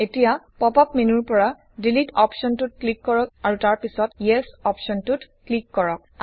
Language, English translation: Assamese, Now click on the Delete option in the pop up menu and then click on the Yes option